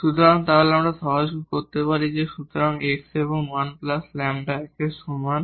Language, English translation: Bengali, So, then we can simplify; so, x and 1 plus lambda is equal to 1